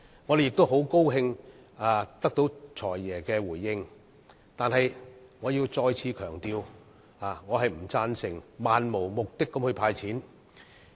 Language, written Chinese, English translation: Cantonese, 我們很高興得到"財爺"的回應，但我要再次強調，我並不贊成漫無目的地"派錢"。, We are glad that the Financial Secretary has responded to our requests this year . Yet I have to stress once again that I disagree with the practice of making a cash handout in a purposeless manner